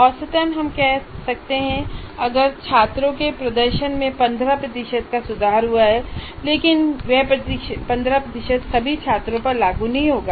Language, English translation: Hindi, On the average, we can say there is an improvement in improvement of 15% in the performance of the students